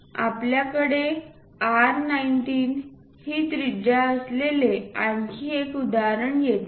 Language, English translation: Marathi, Here another example we have again radius R19